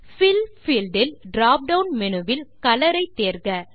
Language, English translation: Tamil, In the Fill field, from the drop down menu, choose Color